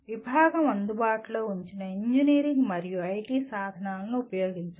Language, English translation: Telugu, Use the engineering and IT tools made available by the department